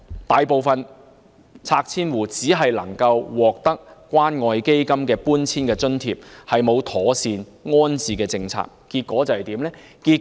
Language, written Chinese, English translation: Cantonese, 大部分拆遷戶只能獲得關愛基金的搬遷津貼，並無妥善的安置政策。, The majority of the households forced to move out could only receive the relocation allowance provided by the Community Care Fund and there was no proper rehousing policy